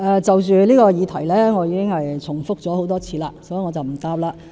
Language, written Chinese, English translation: Cantonese, 就着這個議題，我已經重複多次回答，所以，我不回答了。, I have given repeated answers about this subject therefore I am not going to give another reply